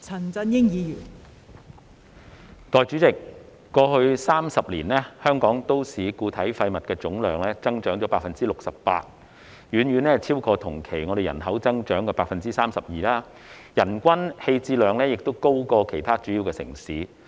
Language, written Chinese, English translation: Cantonese, 代理主席，過去30年，香港都市固體廢物總量增加 68%， 遠遠超過同期人口增長的 32%， 人均棄置量亦高於其他主要城市。, Deputy President the total volume of municipal solid waste MSW disposal in Hong Kong has increased by 68 % over the past 30 years far exceeding the population growth of 32 % over the same period and our per capita MSW disposal rate is also higher than that of other major cities